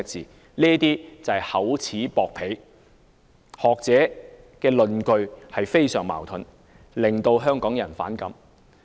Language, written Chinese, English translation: Cantonese, 這些都是厚此薄彼，而學者的論據非常矛盾，令香港人反感。, This is a case of favouritism and the contradictory arguments put forward by the scholars have antagonized the people of Hong Kong